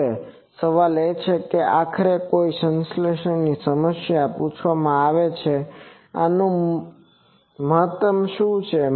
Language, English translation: Gujarati, Now, the question is which in any synthesis problem finally is asked that what is the optimum of these